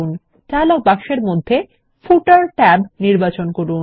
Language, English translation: Bengali, Select the Footer tab in the dialog box